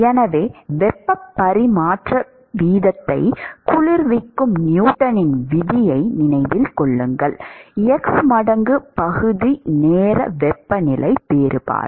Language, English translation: Tamil, So, remember newtons law of cooling the heat transfer rate is h times area times temperature difference